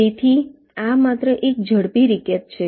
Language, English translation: Gujarati, ok, alright, so this is just a quick recap